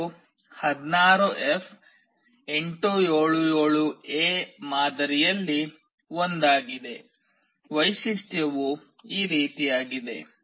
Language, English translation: Kannada, This is one of the model which is 16F877A; the feature is like this